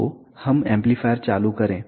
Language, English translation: Hindi, Let us turn on the amplifier